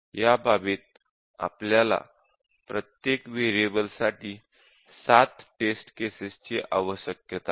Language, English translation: Marathi, And in this case, we need seven test cases for each variable